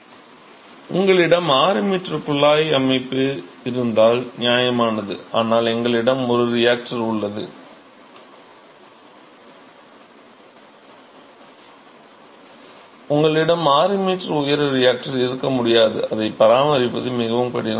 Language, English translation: Tamil, So, if you have a piping system 6 meters is reasonable, but we have a reactor, you cannot have 6 meter tall reactor, it is very difficult to maintain it